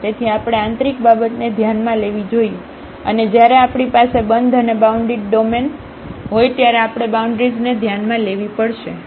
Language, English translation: Gujarati, So, we have to consider the interior and we have to also consider the boundaries when we have a closed and the bounded domain